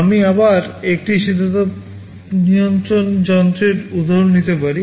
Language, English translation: Bengali, Let me take the example of an air conditioning machine again